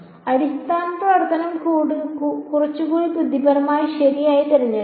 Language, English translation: Malayalam, Basis function should be can be chosen little bit more intelligently right